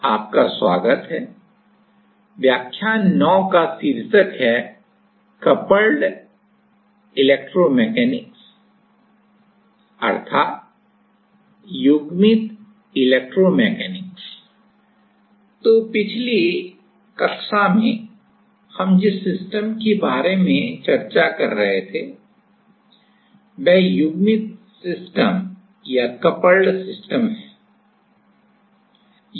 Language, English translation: Hindi, So, in the last class, we were discussing about the system which is a coupled system